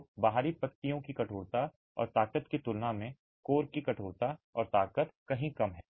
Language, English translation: Hindi, So, the stiffness and strength of the core is far lesser than the stiffness and strength of the outer leaves